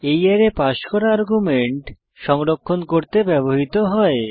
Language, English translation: Bengali, This array is used to store the passed arguments